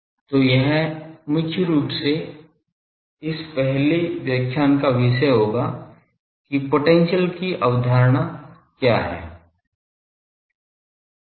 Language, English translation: Hindi, So, that will be the topic of this first lecture mainly that what is the concept of potential